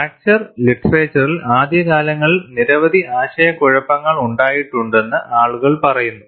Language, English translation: Malayalam, And you know, people say that, there have been several confusion in the fracture literature in the early days